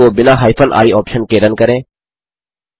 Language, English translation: Hindi, Run the script without using the hyphen i option